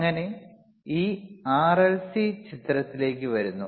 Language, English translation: Malayalam, tThus this RLC comes into picture